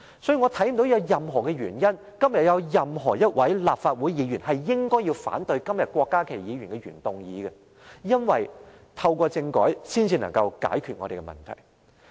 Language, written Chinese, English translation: Cantonese, 因此，我看不見有任何原因，今天有任何一位立法會議員應該反對郭家麒議員的原議案，因為，透過政改，才能解決問題。, I thus fail to see any reason for any Member in this Council to object to the original motion moved by Dr KWOK Ka - ki today because our problems can only be resolved through a constitutional reform